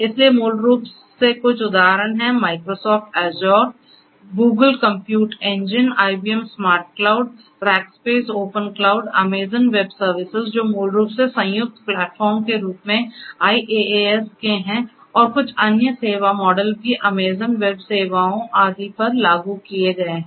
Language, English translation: Hindi, So basically some examples are Microsoft Azure, Google Compute Engine, IBM SmartCloud, Rackspace Open Cloud, Amazon Web Services which is basically in way combined platform you know it has the IaaS and few different other you know service models are also implemented in Amazon web services and so on